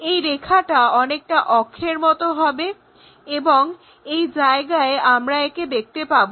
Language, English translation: Bengali, So, this line will be more like an axis and where we will see is here we will see that line